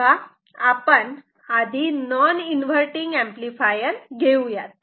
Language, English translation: Marathi, Now, let us go to say, inverting and non inverting amplifiers, quickly